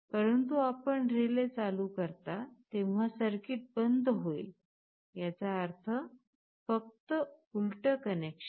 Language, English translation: Marathi, But, when you turn on the relay the circuit will be off; that means, just the reverse convention